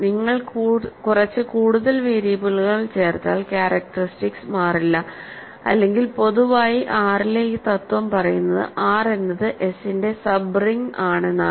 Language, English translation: Malayalam, So, the characteristic does not change if you simply add some more variables or in general if R more generally the same principle actually says that if R is a sub ring of S